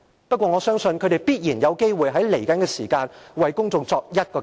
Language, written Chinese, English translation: Cantonese, 不過，我相信，他們在未來必然有機會向公眾作出交代。, However I do believe that they will surely have a chance to offer an explanation to the public in the future